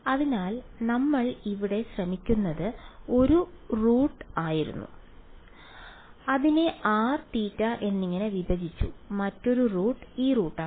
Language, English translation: Malayalam, So, one root was what we were trying over here, splitting it into r n theta, another root is this root